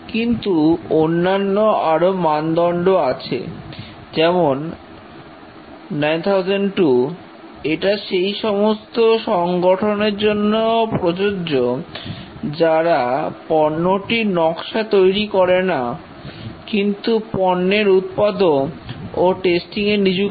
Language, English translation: Bengali, But there are the other standards, 9,002, it is applicable to organizations who do not do the product design but are involved in production and servicing